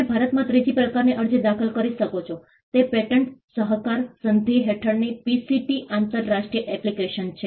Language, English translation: Gujarati, The third type of application you can file in India is the PCT international application under the Pattern Cooperation Treaty